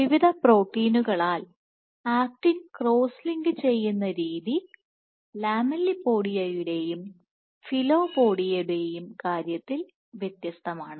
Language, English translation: Malayalam, So, filopodia in the way the actin is cross linked by various proteins is different in case of filopodia versus in case of lamellipodia